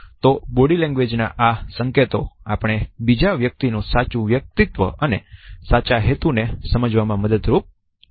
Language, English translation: Gujarati, So, these signals of body language help us to understand the true personality and the true intention of a person